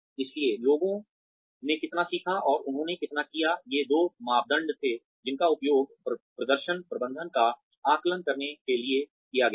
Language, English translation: Hindi, So, how much did people learn, and how much did they do, were the two criteria, that were used for assessing performance management